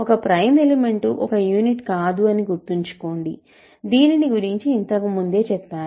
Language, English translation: Telugu, Remember a prime element is automatically not a unit, so that is already given